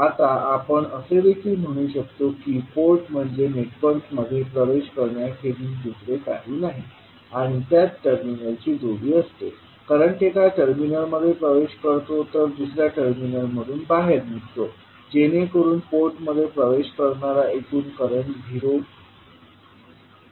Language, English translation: Marathi, Now, you can also say that the port is nothing but an access to a network and consists of a pair of terminal, the current entering one terminal leaves through the other terminal so that the current entering the port will be equal to zero